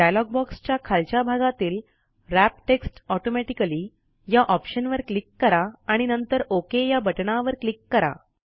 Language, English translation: Marathi, At the bottom of the dialog box click on the Wrap text automatically option and then click on the OK button